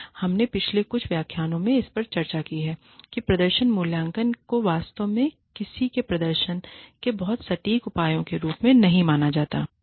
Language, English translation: Hindi, So, we have discussed this, in some of the previous lectures, that performance appraisals are not really considered, as very accurate measures, of somebody's performance